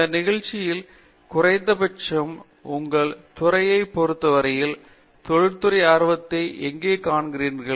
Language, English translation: Tamil, In this context at least with respect to your department, where do you see the industry interest